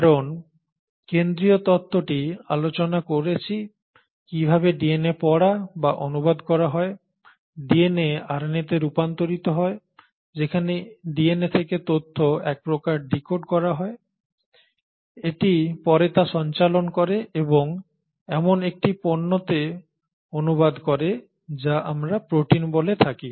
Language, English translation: Bengali, So we did talk about the central thematic that is DNA is read by and translated DNA is converted to RNA where kind of decodes the information from DNA and having decoded it, it then passes it on and translates it into a product which is what we call as the protein